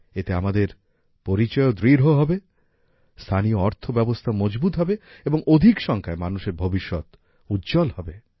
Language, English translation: Bengali, This will also strengthen our identity, strengthen the local economy, and, in large numbers, brighten the future of the people